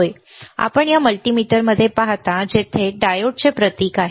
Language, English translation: Marathi, Yes, you see in this multimeter, there is a symbol for diode here